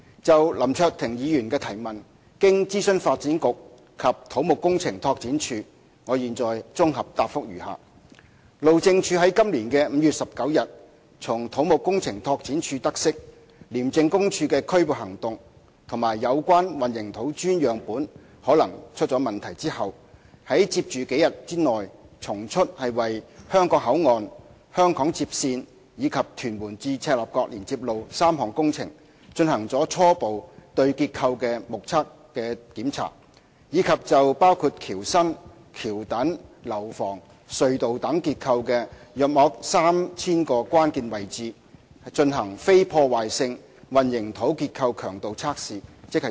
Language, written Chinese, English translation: Cantonese, 就林卓廷議員的提問，經諮詢發展局及土木工程拓展署，我現綜合答覆如下：路政署在今年5月19日從土木工程拓展署得悉廉政公署的拘捕行動及有關混凝土磚樣本可能出問題後，於接着數天內從速為香港口岸、香港接線，以及屯門至赤鱲角連接路3項工程進行了初步對結構的"目測檢查"；以及就包括橋身、橋墩、樓房、隧道等結構的約 3,000 個關鍵位置，進行非破壞性混凝土結構強度測試。, Having consulted the Development Bureau and CEDD below is a consolidated reply to Mr LAM Cheuk - tings question . In the following days after learning on 19 May this year from CEDD about the arrest by the Independent Commission Against Corruption ICAC and the possible problem in the concrete cube samples the Highways Department HyD swiftly conducted preliminary visual inspections for the structures of the HKBCF HKLR and TM - CLKL projects and the non - destructive concrete strength tests for the 3 000 stress - critical locations of bridge decks bridge piers buildings tunnels structures etc